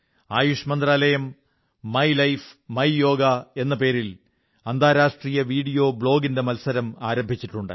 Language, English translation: Malayalam, The Ministry of AYUSH has started its International Video Blog competition entitled 'My Life, My Yoga'